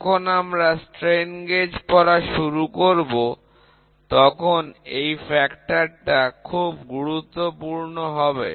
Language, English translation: Bengali, This is a factor which is very important when we start reading strain gauges